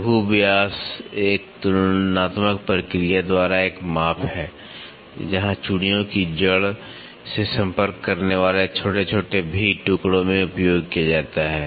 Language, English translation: Hindi, The minor diameter is a measure by a comparative process; where in small V pieces that make contact to the root of the threads are used